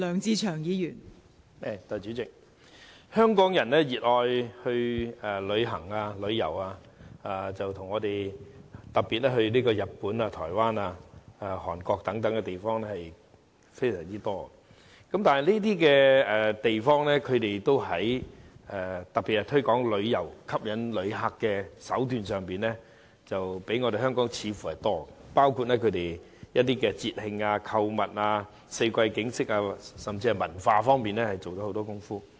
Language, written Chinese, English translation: Cantonese, 代理主席，香港人熱愛旅遊，其中以日本、台灣、韓國等地方最受歡迎，而這些地方在推廣旅遊業和吸引旅客方面所採用的手段，似乎比香港多，包括推廣節慶、購物及四季景色，而在文化推廣方面亦花了不少工夫。, Deputy President Hong Kong people love to travel and the most popular destinations are Japan Taiwan and Korea etc . The tactics that these places employed to promote tourism and attract visitors are indeed more varied than those of Hong Kong including the promotion of festivals shopping and scenery of the four seasons and much effort has been made on the promotion of culture as well